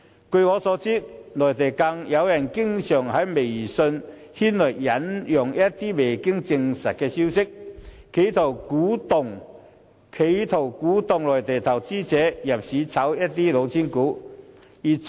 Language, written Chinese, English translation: Cantonese, 據我所知，內地有人經常在微信引述一些未經證實的消息，企圖鼓動內地投資者入市"炒"一些"老千股"。, As I am aware some people on the Mainland always quote some unconfirmed news on WeChat with the intention of inciting Mainland investors to enter the market to speculate on some cheating shares